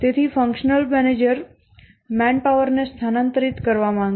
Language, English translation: Gujarati, So, the functional manager would like to shift manpower